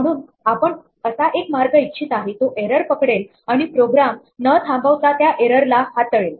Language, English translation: Marathi, So, we want a way to catch the error and deal with it without aborting the program